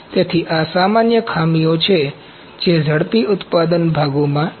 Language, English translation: Gujarati, So, these are the common defects which are there in rapid manufacturing parts